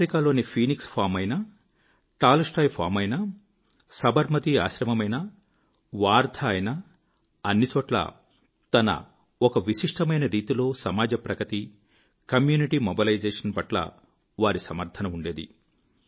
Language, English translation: Telugu, Whether it was the Phoenix Farm or the Tolstoy Farm in Africa, the Sabarmati Ashram or Wardha, he laid special emphasis on community mobilization in his own distinct way